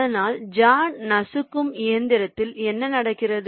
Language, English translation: Tamil, but in a jaw crusher, what is happening